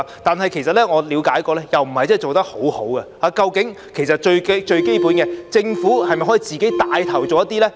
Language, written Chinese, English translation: Cantonese, 但是，據我了解，這方面做得不太好，最基本的是，政府可否帶頭做呢？, However according to my understanding efforts made in this regard have been undesirable . Most essentially can the Government take the lead in doing so?